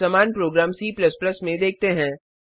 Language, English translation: Hindi, Now let us see the same program in C++